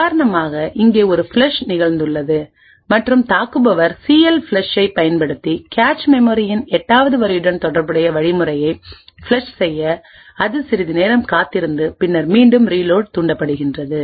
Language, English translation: Tamil, So over here for example, there is a flush that has happened and the attacker has used CLFLUSH to flush out the instructions corresponding to line 8 from the cache, it waits for some time and then the reload step is triggered